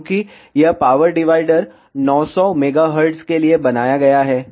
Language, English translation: Hindi, Since, this power divider is designed for 900 megahertz